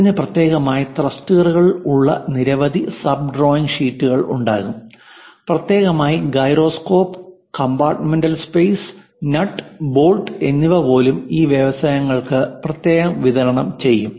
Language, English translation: Malayalam, And this will have many sub drawing sheets having thrusters separately, having gyroscope separately, compartmental space separately, even nuts and bolts separately supplied to these industries